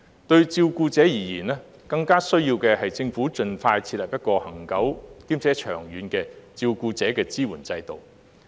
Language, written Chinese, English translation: Cantonese, 對照顧者而言，更需要的是政府盡快設立一個恆久且長遠的照顧者支援制度。, What is more important to carers is that the Government should establish a permanent and long - term support system for carers as soon as possible